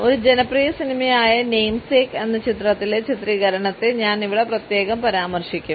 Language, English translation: Malayalam, I would particularly refer to its portrayal in a popular movie Namesake